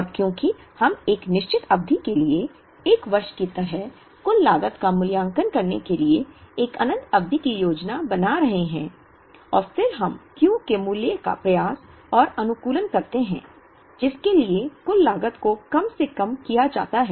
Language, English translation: Hindi, And, because we are planning for an infinite period to evaluate the total cost we take a certain fixed period like a year and then we try and optimize the value of Q, for which the total cost is minimized